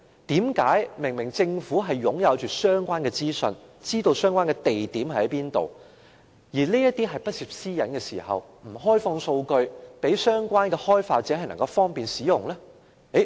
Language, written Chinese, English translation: Cantonese, 但是，政府明明擁有相關資訊、知道相關飲水機的位置，而這些資料又不涉私隱，為何政府卻沒有開放數據，方便相關開發者使用？, Obviously the Government has the relevant information on the location of drinking fountains and such information is not confidential why does the Government not open up the data to facilitate app developers?